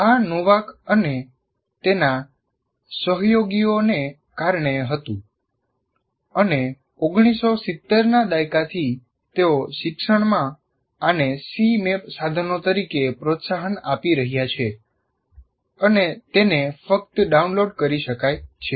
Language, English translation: Gujarati, And this was due to Novak and his associates and right from 1970s onwards they have been promoting this in education and you have a free tool called Cmap 2, C map tools and it can be downloaded free